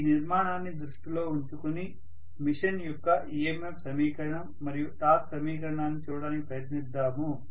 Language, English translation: Telugu, Now, let us try to with this structure in mind let, us try to look at the EMF equation and torque equation of the machine